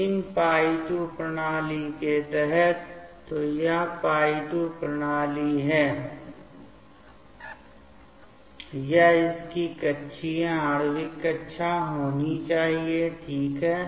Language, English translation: Hindi, So, for these π2 system, so this is the π2 system, this should be its orbital molecular orbitals ok